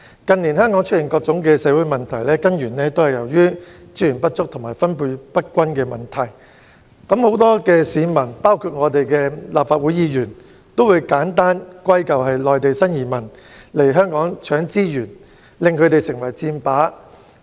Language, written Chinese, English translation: Cantonese, 近年香港出現各種社會問題，根源在於資源不足和分配不均，但很多市民和立法會議員會將問題簡單歸咎於內地新移民來香港搶資源，令後者成為箭靶。, Social problems of various sorts have emerged in Hong Kong in recent years and they are rooted in the inadequacy and uneven distribution of resources . Many people and Members of this Council however simply blame the new arrivals from Mainland China for snatching Hong Kongs resources and thus making the latter a target for criticism